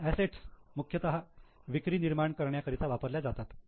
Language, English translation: Marathi, Now the assets are being used mainly for generating sales